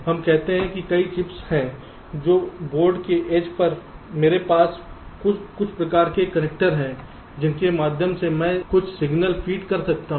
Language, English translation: Hindi, lets say there are several chips and on the edge of the board i have some kind of a connector through which i can feed some signals